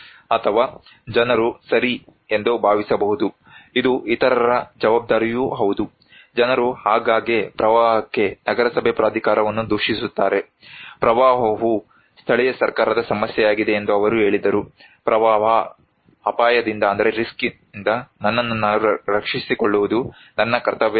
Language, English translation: Kannada, Or maybe people think that okay, it is also the responsibility of others like, people often blame the municipal authority for getting flood, they said that flood is an the issue of the local government, it is not my duty to protect myself against flood risk